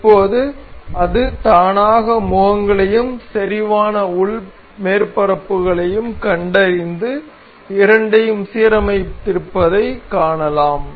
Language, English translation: Tamil, So, now, we can see it has automatically detected the faces and the concentric inner surfaces and it has aligned the two